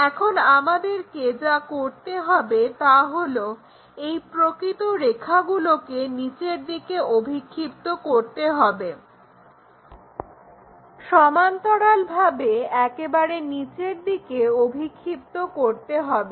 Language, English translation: Bengali, Now, what we have to do is project these true lines all the way down, move parallel all the way down